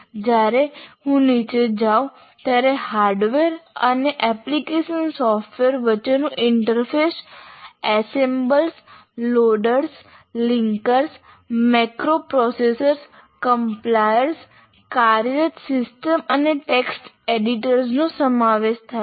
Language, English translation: Gujarati, And now once again when I go down, interface between hardware and application software consists of assemblers, loaders and linkers, macro processors, compilers, operating systems and text editor